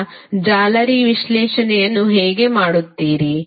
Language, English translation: Kannada, Now, how you will do the mesh analysis